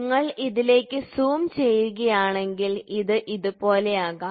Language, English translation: Malayalam, So, if you zoom into it, so, then it can be like this